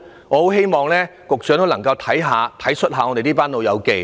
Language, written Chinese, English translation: Cantonese, 我很希望局長能夠體恤一下這群"老友記"。, I very much hope that the Secretary can empathize with them